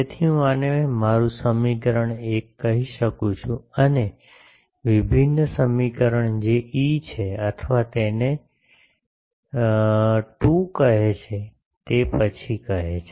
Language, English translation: Gujarati, So, let me call this my equation 1 and the divergence equation that is E or it is called 2 later say